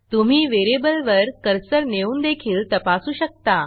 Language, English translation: Marathi, You can also check that by hovering on the variable